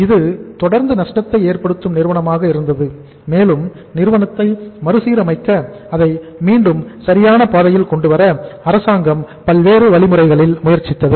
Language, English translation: Tamil, And it continued to be a lossmaking firm and government tried different ways and means to restructure the company or to bring it back on the wheels